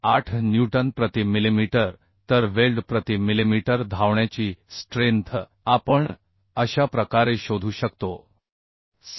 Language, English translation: Marathi, 8 newton per millimetre So strength of weld per millimetre run we can find out as 662